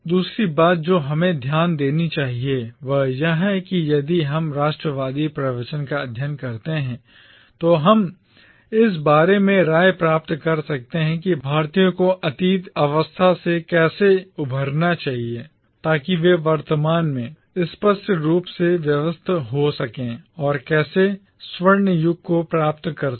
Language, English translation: Hindi, The second thing that we should note is that if we study the nationalist discourse we can find in it diverging opinions about how Indians should recover themselves from the degenerate state that they are apparently in the present and how they should regain the golden age